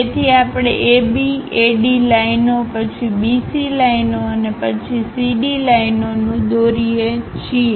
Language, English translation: Gujarati, So, the steps what we have followed AB, AD lines then BC lines and then CD lines we construct it